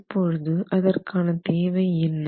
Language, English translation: Tamil, Now what does that require